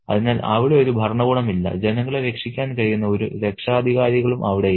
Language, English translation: Malayalam, So, there is hardly any administration, there are hardly any guardians who could save the people